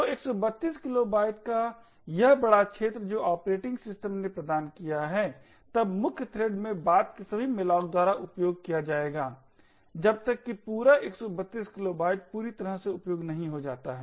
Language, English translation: Hindi, So, this large area of 132 kilobytes which the operating system has provided will then be used by all subsequent malloc in the main thread until that entire 132 kilobytes gets completely utilised